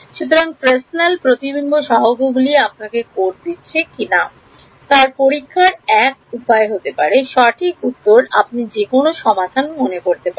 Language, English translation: Bengali, So, Fresnel reflection coefficients this can be one way of testing whether your code is giving the correct answer any other solutions you can think of